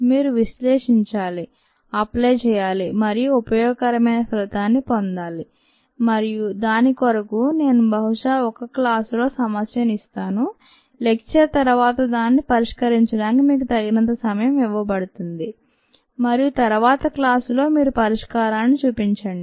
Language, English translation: Telugu, you will have to analyze, apply and get a useful result, and for that i will ah probably ah pose the problem in one class, ah give you enough time to solve it at ah after the lecture and then show you the solution in the next class